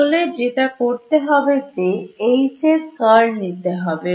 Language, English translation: Bengali, So, all I have to do is take curl of H uniqueness theorem